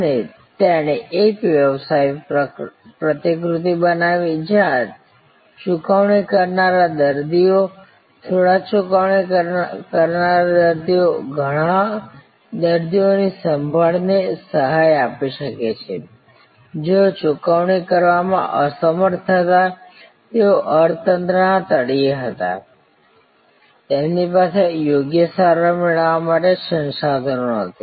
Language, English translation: Gujarati, And he created a business model, where the paying patients, few paying patients could subsidize many patients care, who were unable to pay, who were at the bottom of the economy pyramid, they did not have the resources to get proper treatment